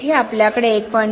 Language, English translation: Marathi, Here we have 1